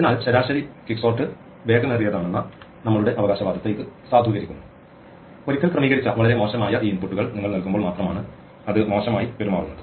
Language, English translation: Malayalam, So, this validates our claim that quicksort on an average is fast, it is only when you give it these very bad inputs which are the already sorted once that it behaves in a poor manner